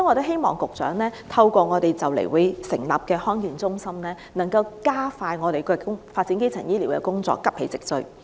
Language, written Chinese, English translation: Cantonese, 希望局長能透過即將成立的地區康健中心，加快發展基層醫療工作，急起直追。, I hope that the Secretary will seize the opportunity presented by the soon - to - be - established first District Health Centre to expedite the development of primary healthcare services and promptly catch up